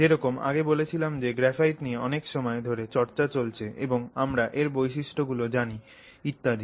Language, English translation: Bengali, Like I said graphite has been along for a long time and we know its properties and so on